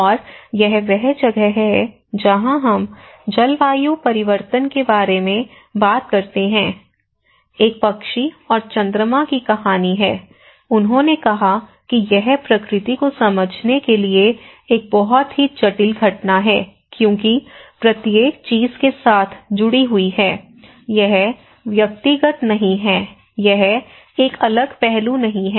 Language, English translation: Hindi, And this is where we talk about the climate change shuffle, as a bird and moon story you know so, they said that it is a nature, it is a very complex phenomenon to understand nature because each and everything is linked with another thing, it is not individual, it is not an isolated aspect